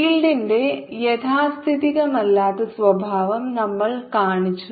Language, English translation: Malayalam, we showed the non conservative nature of the field